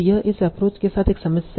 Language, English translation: Hindi, So this is one problem with this approach